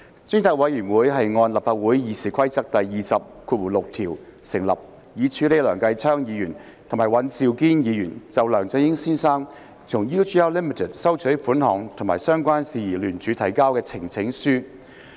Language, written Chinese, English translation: Cantonese, 專責委員會按立法會《議事規則》第206條而成立，以處理梁繼昌議員及尹兆堅議員就梁振英先生從 UGL Limited 收取款項及相關事宜聯署提交的呈請書。, The Select Committee was established under Rule 206 of the Rules of Procedure RoP to deal with the petition jointly presented by Mr Kenneth LEUNG and Mr Andrew WAN in connection with Mr LEUNG Chun - yings receipt of payments from the UGL Limited UGL and related matters